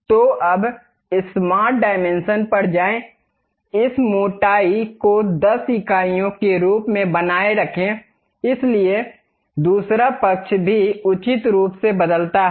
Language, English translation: Hindi, So, now go to smart dimension, maintain this thickness as 10 units; so other side also appropriately change